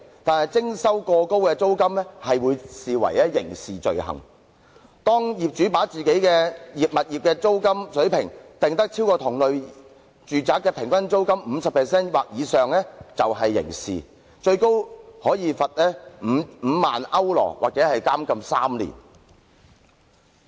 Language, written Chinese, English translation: Cantonese, 但是，徵收過高租金將會被視為刑事罪行，當業主把自己的物業租金水平訂於高於同類住宅的平均租金 50% 或以上時，便屬刑事罪行，最高可罰款5萬歐羅或監禁3年。, However charging excessively high rents will be deemed a criminal offence . A landlord who sets the rent of his property at a level higher than the rents of similar properties by 50 % or above shall be guilty of a criminal offence and may be subject to a penalty of €50,000 or imprisonment of three years . Severe punishments must be meted out to regulate a disorderly society